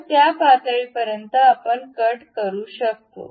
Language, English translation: Marathi, So, up to that level we can have a cut